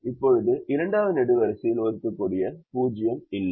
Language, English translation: Tamil, now second column does not have an assignable zero